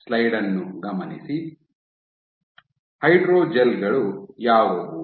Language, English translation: Kannada, What are hydrogels